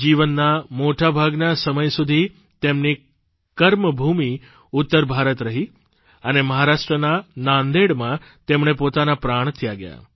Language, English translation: Gujarati, For most of his life, his work was centred in North India and he sacrificed his life in Nanded, Maharashtra